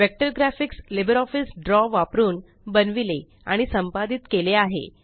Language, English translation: Marathi, Vector graphics are created and edited using LibreOffice Draw